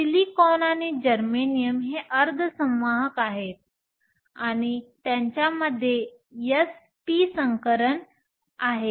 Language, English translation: Marathi, Silicon and germanium are semiconductors, and they have s p 3 hybridization